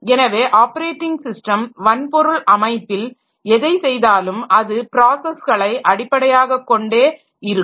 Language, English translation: Tamil, So, whatever the operating system does in a hardware system, so that is in terms of processes